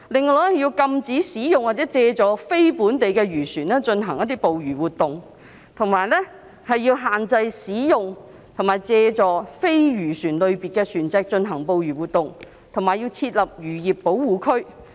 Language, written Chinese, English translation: Cantonese, 此外，要禁止使用或借助非本地漁船進行捕魚活動，並限制使用或借助非漁船類別的船隻進行捕魚活動，以及設立漁業保護區。, Moreover it is necessary to prohibit fishing activities with the use or aid of non - local fishing vessels restrict fishing activities with the use or aid of non - fishing vessels and designate fisheries protection areas